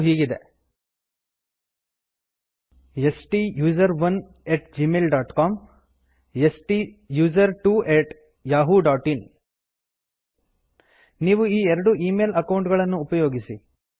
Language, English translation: Kannada, They are: STUSERONE at gmail dot com STUSERTWO at yahoo dot in We recommend that you use 2 of your email accounts